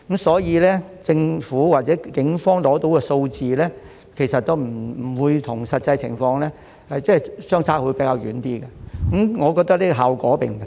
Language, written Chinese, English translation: Cantonese, 所以，政府或警方取得的數字其實與實際情況相差較遠，我覺得這個效果並不大。, For this reason the figures obtained by the Government or the Police can hardly reflect the actual situation . I think this is not that useful